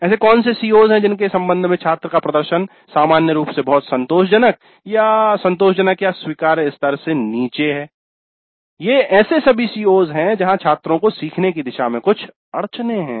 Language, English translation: Hindi, What are the COs with regard to which the student performance is in general very satisfactory or satisfactory or below acceptable levels which are all the COs where the students have certain bottlenecks towards learning